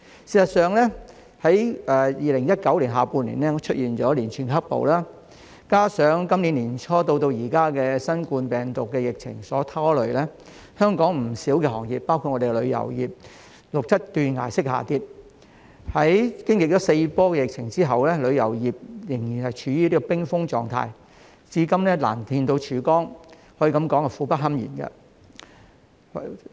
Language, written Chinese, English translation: Cantonese, 事實上，在2019年下半年出現連串"黑暴"，加上今年年初至今的新冠病毒疫情所拖累，香港不少行業，包括旅遊業，錄得斷崖式下跌，在經歷四波的疫情後，旅遊業仍然處於冰封狀態，至今難見曙光，可以說是苦不堪言。, As a matter of fact in the second half of 2019 a series of riots coupled with the coronavirus epidemic since the beginning of this year many industries in Hong Kong including the tourism industry have recorded a precipitous fall . After four waves of outbreaks the tourism industry is still in a frozen state and there is hardly any light at the end of the tunnel . The situation is miserable